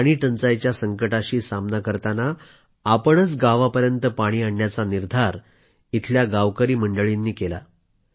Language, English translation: Marathi, To tide over an acute water crisis, villagers took it upon themselves to ensure that water reached their village